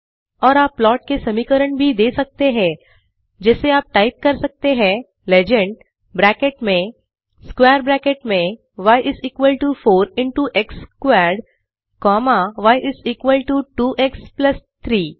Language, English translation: Hindi, Or we can also just give the equations of the plot like you can type legend within brackets in square brackets y = 4 into x ^ 2 comma y is equal to 2x plus 3